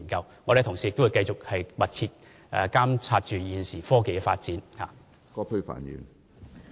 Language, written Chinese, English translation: Cantonese, 我們的同事也會密切監察現時科技的發展。, Our colleagues will also closely monitor the current developments in technology